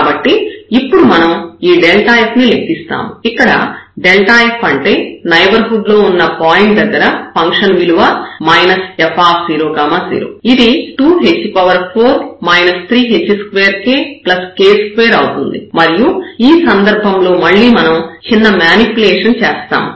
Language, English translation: Telugu, So, we will compute this delta f now, the point in the neighborhood minus this f 0 0 which will come exactly that function 2 h 4 minus 3 h square k plus this k square and in this case we will do again little manipulation here